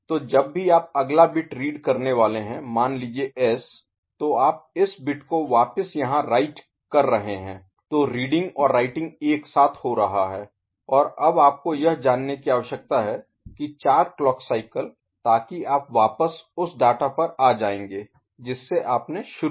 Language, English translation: Hindi, So, whenever your reading the next bit say S you are writing this bit back over here, so reading and writing are happening simultaneously and now you need you know, 4 clock cycles so that you are back to the data that you are originally started with, ok